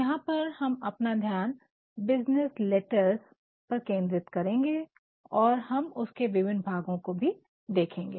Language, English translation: Hindi, Here we shall focus our attention more on business letters and we shall also see the various parts of a business letter